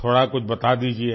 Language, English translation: Hindi, Tell me a bit